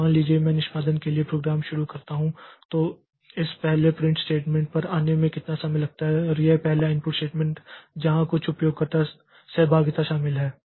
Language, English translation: Hindi, So, suppose I start the, I give the program for execution then how much time it takes to come to this first print statement or this first input statement where some user interaction is involved